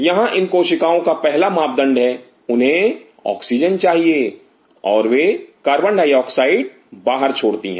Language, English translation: Hindi, These cells out here have the first parameter they need Oxygen and they give out Carbon dioxide